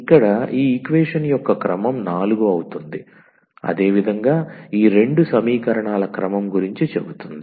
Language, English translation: Telugu, So, the order of this equation will be 4 similarly will be talking about the order of these two equations